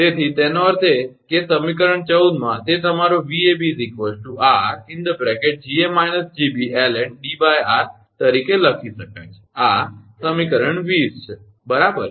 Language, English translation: Gujarati, So; that means, in equation 14 it can be written as your Vab is equal to r, into Ga minus Gb ln D upon r this is equation 20, right